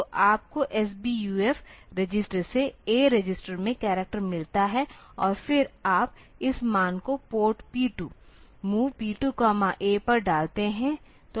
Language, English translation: Hindi, So, you get the character from S BUF register into A register, and then you put this value onto port P 2, MOV P 2 comma A